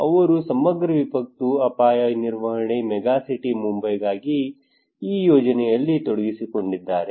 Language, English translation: Kannada, They were involved in this project for integrated disaster risk management megacity Mumbai